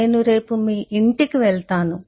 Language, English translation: Telugu, Ill go to your home tomorrow